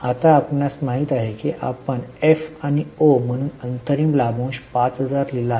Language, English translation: Marathi, Now you know here we had written interim dividend 5,000 as F and O